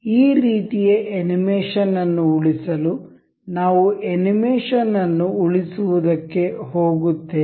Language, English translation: Kannada, To save this kind of animation, we will go with save animation